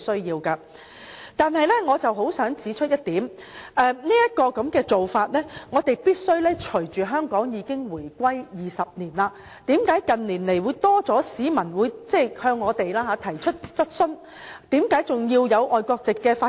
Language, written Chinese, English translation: Cantonese, 然而，我想指出一點，這種做法必須隨着香港已經回歸20年......為何近年有較多市民向我們提出質疑，為何香港仍然有外國籍的法官？, However I would like to point out that as it has been 20 years since Hong Kongs reunification with China such an approach must Why have more members of the public asked us in recent years that why there are still foreign Judges in Hong Kong?